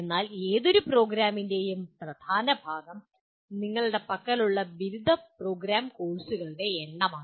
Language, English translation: Malayalam, But the dominant part of any program, undergraduate program are the number of courses that you have